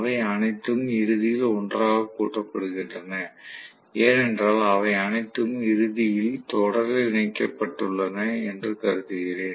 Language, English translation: Tamil, So, all of them are ultimately added together clearly because I assume that all of them are connected in series, ultimately